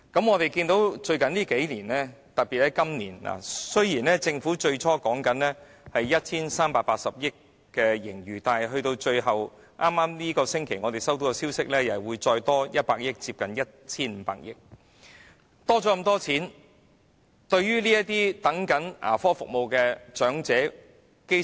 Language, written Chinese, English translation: Cantonese, 我們在最近數年——特別是在今年——看到政府最初表示有 1,380 億元盈餘，但根據我們本星期接獲的消息，又會有額外100億元的盈餘，即總共接近 1,500 億元的盈餘。, In the last few years―and this year in particular―we could hear the Government say initially that the surplus would amount to 138 billion but according to the news received by us this week there will be an additional surplus of 10 billion so the surplus will reach almost 150 billion in total